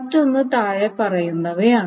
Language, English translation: Malayalam, And the other one is the following